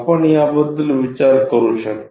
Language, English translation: Marathi, Can you think about it